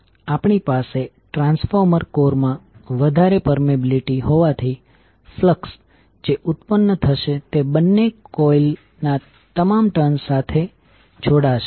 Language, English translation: Gujarati, Since we have high permeability in the transformer core, the flux which will be generated links to all turns of both of the coils